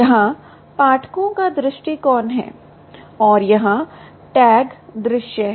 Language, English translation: Hindi, here is the readers view and here is the tags view